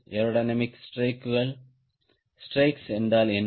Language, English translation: Tamil, what are aerodynamics strakes